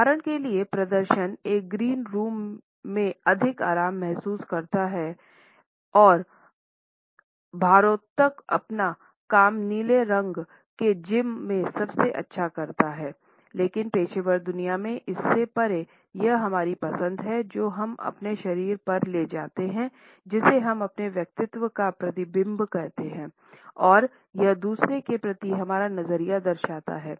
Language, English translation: Hindi, For example, performance feel more relaxed in a green room and weightlifters do their best in blue colored gyms, but beyond this in the professional world it is our choice of colors through different accessories which we carry on our body that we reflect our personality and our attitudes to other